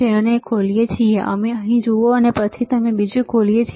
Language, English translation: Gujarati, So, we open it, you see here and then we open the other one